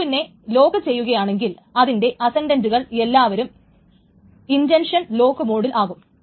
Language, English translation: Malayalam, So if F2 is locked, then all its ascendents are in the intention lock mode mode